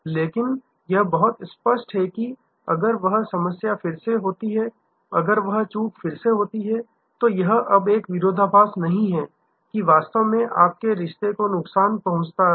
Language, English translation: Hindi, But, it is very clear that if that problem happens again, if that lapse happens again, then it is no longer a paradox your actually damage the relationship